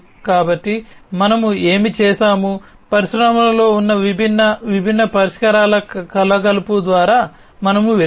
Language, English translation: Telugu, And so what we have done is we have gone through an assortment of different, different solutions that are there in the industries